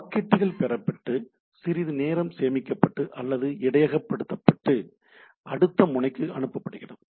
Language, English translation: Tamil, So, packets are received stored briefly or what we say buffered and passed on to the next node